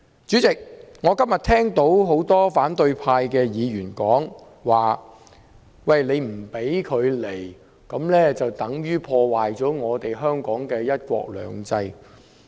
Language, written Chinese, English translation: Cantonese, 主席，我今天聽到很多反對派議員說，不准馬凱入境等於破壞香港的"一國兩制"。, President today I have heard many Members of the opposition camp say that the rejection of Victor MALLETs entry has damaged the implementation of one country two systems in Hong Kong